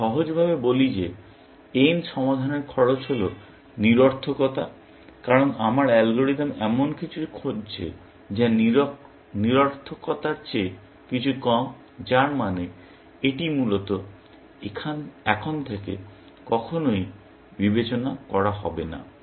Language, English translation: Bengali, I simply say that cost of solving n is futility, because my algorithm is looking for something which is less than futility, which means, this will never be considered henceforth, essentially